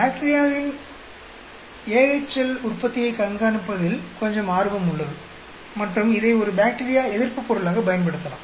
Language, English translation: Tamil, There is some interest in looking at bacterial AHL production and use this as an anti bacterial compound and so on actually